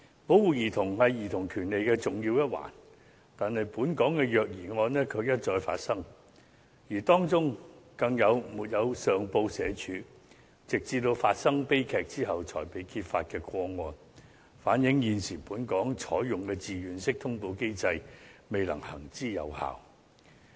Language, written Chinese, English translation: Cantonese, 保護兒童是兒童權利的重要一環，但本港卻一再發生虐兒個案，更有沒有上報社會福利署，直至發生悲劇後才被揭發的個案，反映現時本港採用的自願式通報機制未能行之有效。, The right to protection is an important element of childrens rights . However there have been repeated cases of child abuse in Hong Kong . Some cases were unknown to the Social Welfare Department SWD until tragedies had happened